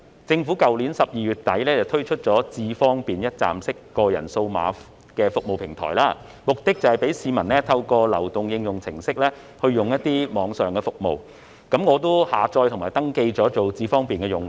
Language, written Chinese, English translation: Cantonese, 政府於去年12月底推出"智方便"一站式個人化數碼服務平台，目的是讓市民透過流動應用程式使用網上服務，我已下載並登記成為"智方便"用戶。, At the end of December last year the Government launched a one - stop personalized digital services platform called iAM Smart which aims at enabling members of the public to access online services through the mobile app . I have downloaded iAM Smart and registered as a user